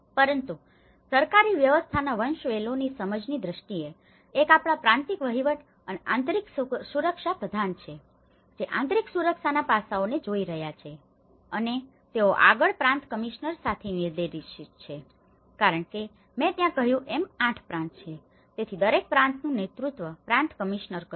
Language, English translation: Gujarati, But, in terms of the understanding of the hierarchy of the government setup, one is the minister of our provincial administration and internal security, which has been looking at the internal security aspects and they are further directed with the provincial commissioner because as I said there are 8 provinces, so each province has been headed by a provincial commissioner